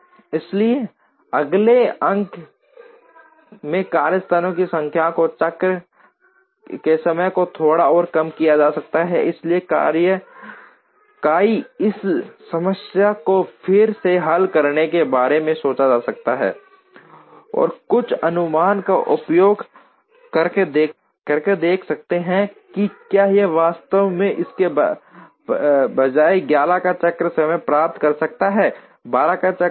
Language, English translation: Hindi, So, the next issue will be given the number of workstations can be reduce the cycle times slightly further, so one could think in terms of solving this problem again, and using some heuristic to see whether we can actually get a cycle time of 11 instead of a cycle time of 12